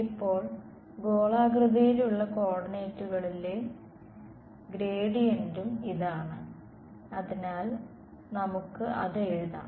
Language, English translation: Malayalam, Now, also this is the gradient in spherical coordinates right so, let us write that down